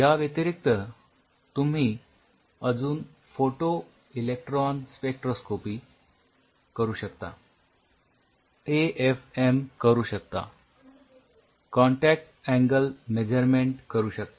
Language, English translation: Marathi, You can do an extra photoelectron spectroscopy you can do an AFM you can do a contact angle measurement analysis